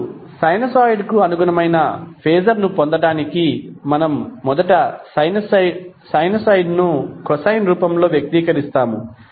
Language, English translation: Telugu, Now, to get the phaser corresponding to sinusoid, what we do, we first express the sinusoid in the form of cosine form